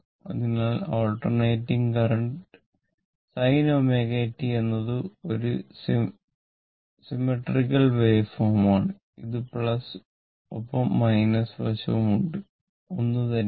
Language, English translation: Malayalam, So, alternating current right, so and it is symmetrical sin omega t is a symmetrical right symmetrical waveform right, it plus and minus side both are same